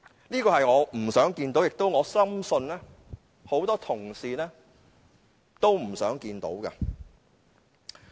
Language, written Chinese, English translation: Cantonese, 這個局面我不想看到，而我深信很多同事也不想看到。, It is a situation I do not wish to see and I believe neither do many Honourable colleagues